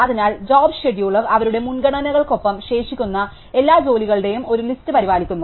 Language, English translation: Malayalam, So, job scheduler maintains a list of all jobs which are pending along with their priorities